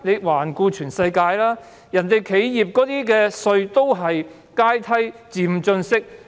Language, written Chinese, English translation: Cantonese, 環顧全世界，企業稅率也是階梯式、漸進式的。, Tax regimes in different countries around the world are tiered and progressive